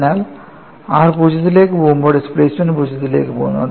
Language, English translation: Malayalam, So, when r goes to 0, displacement goes to 0